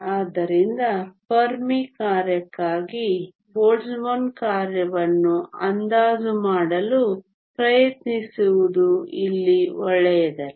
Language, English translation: Kannada, So trying to approximate the Boltzmann function for the Fermi function is not good here